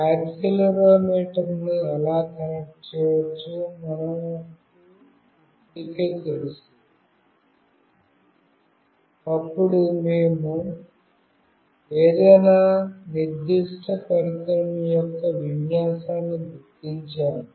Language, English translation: Telugu, And we already know how we can connect accelerometer, then we will figure out the orientation of any particular device, and we will determine that